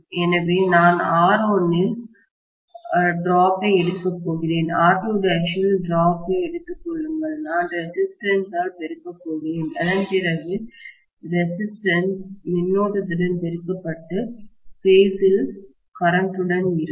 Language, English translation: Tamil, So, I am going to take the drop in R1, take the drop in R2 dash, that I am going to multiply by the resistance and after all the current multiplied by resistance will be in phase with the current itself, right